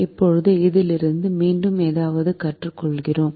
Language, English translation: Tamil, now we again learn something from this